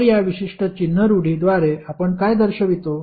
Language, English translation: Marathi, So, what we represent by these particular sign conventions